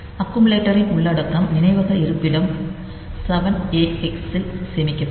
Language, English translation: Tamil, So, content content of the accumulator will be saved into the memory location 7 a hex